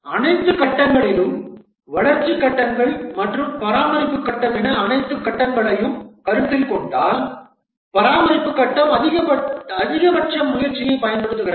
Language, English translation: Tamil, Among all the phases, if we consider all the phases, the development phases and maintenance phase, then the maintenance phase consumes the maximum effort